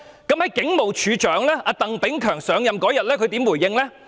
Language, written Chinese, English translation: Cantonese, 警務處處長鄧炳強在上任當天怎樣回應這事？, How did the Commissioner of Police Chris TANG respond to the incident on the day he took office?